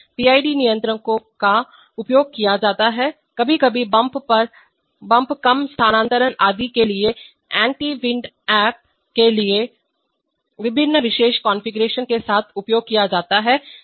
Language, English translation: Hindi, PID controllers are used, sometimes with various special configurations for anti wind up for bump less transfer etc